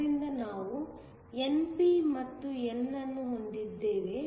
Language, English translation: Kannada, So, we have n, p and n